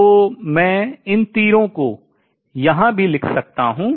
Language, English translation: Hindi, So, I can write these arrows here also